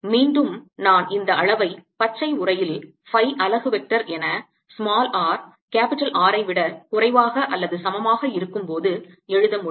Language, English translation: Tamil, and again i can write this quantity in the green enclosure as phi unit vector for r less than equal to r